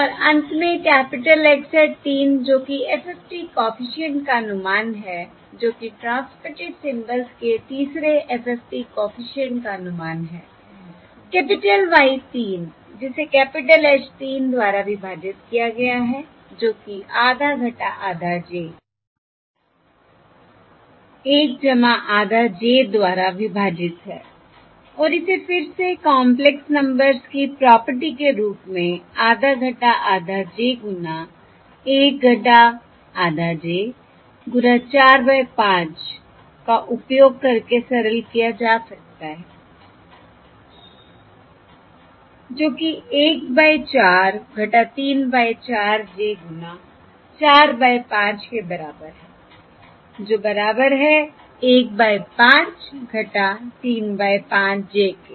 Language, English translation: Hindi, is capital Y 3 divided by capital H 3, which is equal to half minus half j, divided by 1 plus half j equals right, and this can again be simplified as, using the property of complex numbers, as half minus half j times 1 minus half j, into 4 by 5, Which is equal to 1 by 4 minus 3 by 4 j, into 4 by 5, which is equal to 1 by 5 minus 3 by 5 j